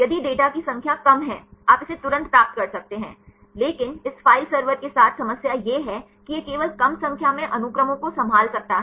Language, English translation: Hindi, If there is less number of data; you can get it immediately, but the problem with this file server is it can handle only less number of sequences